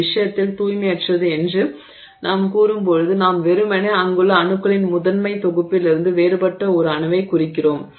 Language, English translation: Tamil, It, in this case when we say impurity we simply mean an atom which is different from the primary set of atoms that are present there